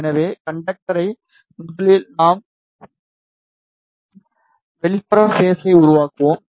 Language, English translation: Tamil, So, to make the conductor firstly we will be making outer conductor